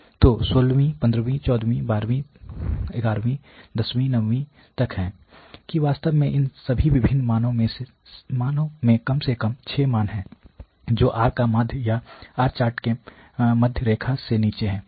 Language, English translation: Hindi, 13th, 12th, 11th, 10th, 9th you know till actually 9th all these different values at least 6 values they are falling below the or the mean of the R chart below the central line